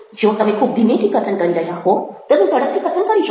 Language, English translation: Gujarati, if you are speaking slowly, you can speak fast